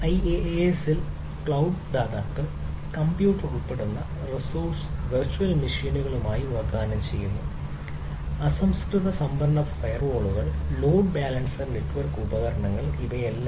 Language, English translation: Malayalam, so in iaas, cloud providers offers resources that include computer ah as virtual machines, raw storage, firewalls, load balancer, network devices and so and so forth